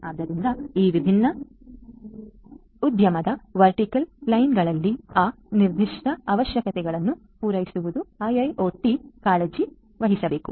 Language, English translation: Kannada, So, catering to those specific requirements for these different industry verticals is what IIoT should concerned